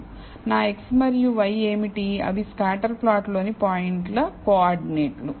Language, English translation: Telugu, So, what are my x and y, they are the coordinates of the points in the scatter plot